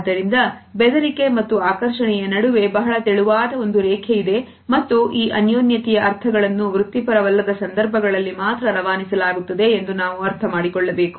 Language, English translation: Kannada, So, there is a very thin line which exist between intimidation and attraction and we have to understand that the connotations of the intimacy are passed on only in non professional situations